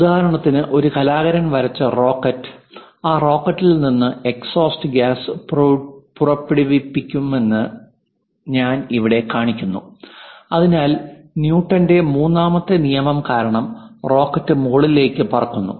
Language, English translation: Malayalam, For example, here I am showing you a rocket which is drawn by an artist there will be exhaust gas coming out of that rocket, and thus giving momentum because of Newton's 3rd law, the rocket flies in the upward direction